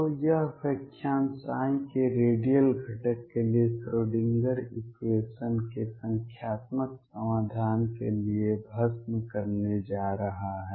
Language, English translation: Hindi, So, this lecture is going to be devour it to numerical solution of the Schrödinger equation for the radial component of psi